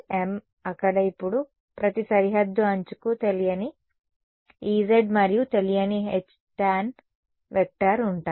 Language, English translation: Telugu, m plus m there now each boundary edge has a unknown E z and a unknown h tan right